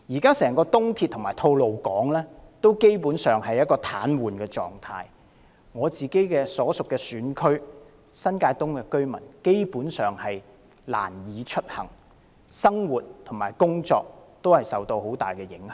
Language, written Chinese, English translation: Cantonese, 現時整條東鐵和吐露港公路基本上處於癱瘓狀態，我所屬選區新界東的居民根本難以出行，生活和工作都大受影響。, Basically the entire East Rail Line and Tolo Highway have now been paralysed as a result the daily life and work of those residing in my constituency have been greatly affected as they have difficulties in travelling to other districts